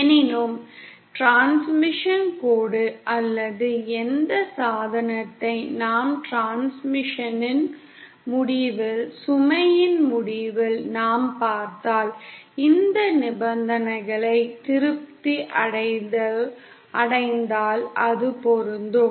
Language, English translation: Tamil, However; when, see the transmission line or whichever device which we connect to the end of the transmission, to the end of the load, if these conditions are satisfied then it will be matched